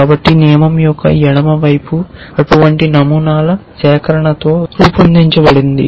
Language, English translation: Telugu, So, the left hand side of the rule is made up of collection of such patterns